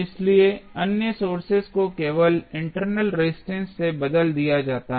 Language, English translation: Hindi, So, other sources are replaced by only the internal resistance